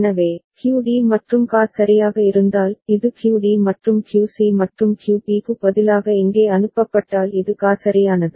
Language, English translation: Tamil, So, if QD and QA right; this is QD and this is QA right if they are sent here instead of QC and QB right